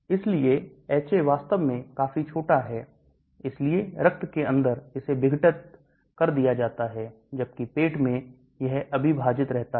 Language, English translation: Hindi, So HA is quite small actually so inside the blood it is dissociated, whereas in the stomach it is undissociated